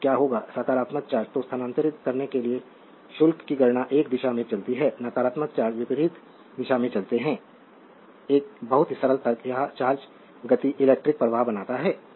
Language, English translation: Hindi, So, what will happen, charges are compute to move positive charge is move in one direction and the negative charges move in the opposite direction a very simple logic this motion of charge is create electric current